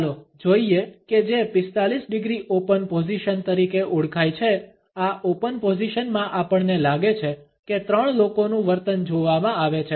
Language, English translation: Gujarati, Let us look at what is known as 45 degree open position; in this open position we find that the behaviour of three people is to be viewed